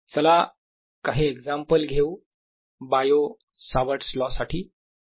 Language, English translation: Marathi, let's take some examples of bio savart law